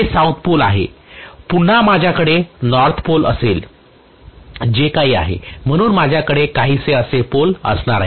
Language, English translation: Marathi, This is south pole, again I am going to have a north pole whatever, so I am going to have the pole somewhat like this